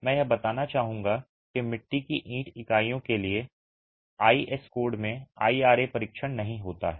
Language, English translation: Hindi, I would like to point out that the IS code for clay brick units does not have an IRA test